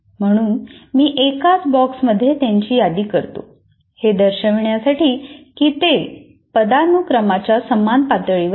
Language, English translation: Marathi, That means when I list in a box, they are at the same level of hierarchy